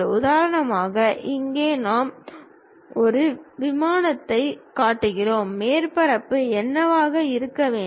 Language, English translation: Tamil, For example, here we are showing an aircraft, what should be the surface